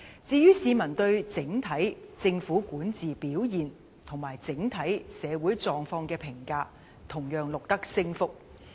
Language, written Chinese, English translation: Cantonese, 至於市民對政府的管治表現及整體社會狀況的評價，同樣錄得升幅。, As for the satisfaction rate of the performance of the SAR Government and peoples appraisal of societys conditions as a whole higher rating figures have also been recorded